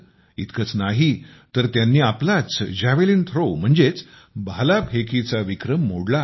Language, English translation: Marathi, Not only that, He also broke the record of his own Javelin Throw